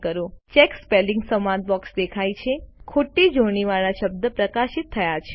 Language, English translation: Gujarati, The Check Spelling dialog box appears, highlighting the misspelled word